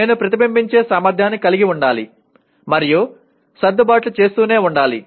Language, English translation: Telugu, I should have the ability to reflect and keep making adjustments